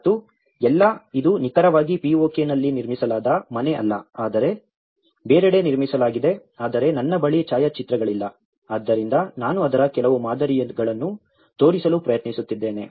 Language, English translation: Kannada, And there all, this is not the house exactly built in the POK but built elsewhere but I do not have the photographs, so I am trying to show some similar models of it